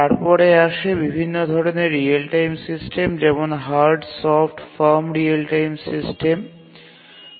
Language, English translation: Bengali, And then we were looking at what are the different types of real time systems, hard, soft form real time systems